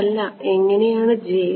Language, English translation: Malayalam, no how j